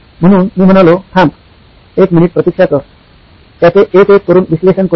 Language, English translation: Marathi, So I said, wait wait wait wait wait a minute, let’s analyse it one by one